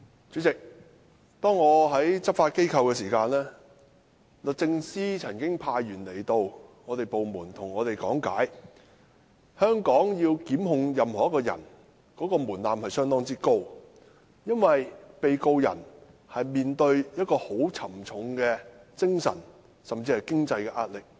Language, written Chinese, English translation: Cantonese, 主席，我之前在執法機構任職時，律政司曾派員到我所屬的部門講解在作出檢控時採納非常高的門檻，因為面對官司的被告人要承受沉重的精神及經濟壓力。, President during my service in a law enforcement agency the Department of Justice had sent officers to my department to explain that the threshold for initiating prosecution was extremely high for the defendant involved in the court case would be under tremendous mental and financial pressure